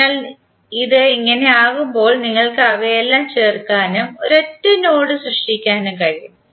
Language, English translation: Malayalam, So when it is like this you can join all of them and create one single node